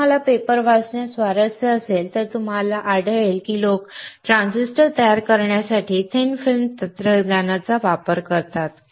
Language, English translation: Marathi, If you are interested in reading papers then you will find that people use the thin film technology to fabricate transistors